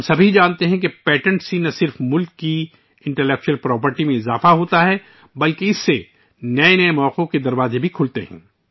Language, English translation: Urdu, We all know that patents not only increase the Intellectual Property of the country; they also open doors to newer opportunities